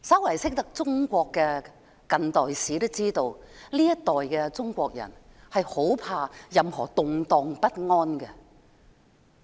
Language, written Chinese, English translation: Cantonese, 略懂中國近代史的人都知道，這一代中國人很害怕有任何動盪不安。, Anyone who has some knowledge of Chinese modern history knows that the Chinese of this generation fear any unrest